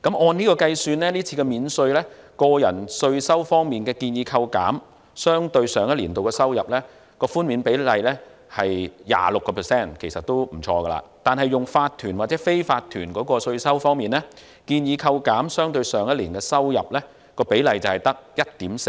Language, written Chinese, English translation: Cantonese, 按此計算，這次免稅，個人稅收方面建議扣減相對於上一年的收入，寬免比率為 26%， 其實都不錯，但來自法團或非法團的稅收方面，建議扣減相對於上一年的收入，比率僅為 1.4%。, A calculation on this basis shows that the ratio of the currently proposed reduction of personal taxes to the previous years revenue is 26 % which is actually quite good but the ratio of the proposed reduction of taxes from corporations or unincorporated businesses to the previous years revenue is only 1.4 %